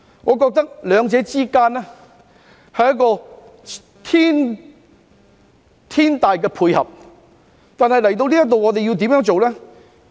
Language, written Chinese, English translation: Cantonese, 我覺得兩者是一個天大的配合，但我們來到這一步要怎樣做呢？, I consider these two moves an excellent match . But what should we do as we come to this move?